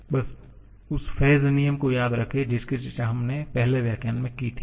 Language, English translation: Hindi, Just remember the phase rule that we discussed in the very first lecture